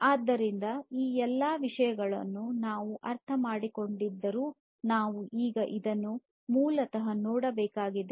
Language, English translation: Kannada, So, while we have understood all of these things we now need to basically look at this particular S over SD formula